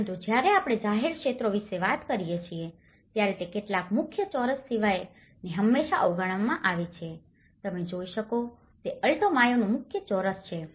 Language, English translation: Gujarati, But, when we talk about the public areas, they are often neglected except a few main squares was what you can see is a main square in Alto Mayo